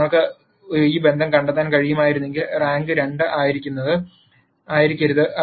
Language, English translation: Malayalam, If you were able to find a relationship then the rank should not have been 2